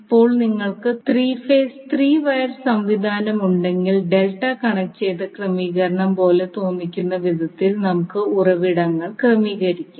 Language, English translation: Malayalam, Now, if you have 3 phase 3 wire system, you will arrange the sources in such a way that It is looking like a delta connected arrangement